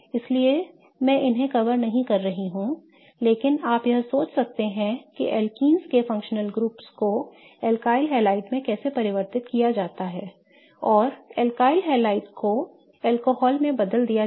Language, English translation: Hindi, So, I am not covering these but you may want to think of how to convert the functional group of alkenes to alkynes and then alkynolides to alcohol